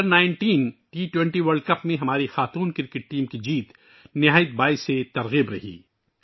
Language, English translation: Urdu, The victory of our women's cricket team in the Under19 T20 World Cup is very inspiring